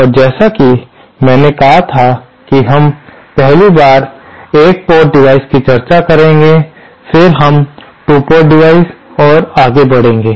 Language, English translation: Hindi, So, and as I said we shall 1st be discussing one port devices, then we shall be moving onto 2 port devices and so on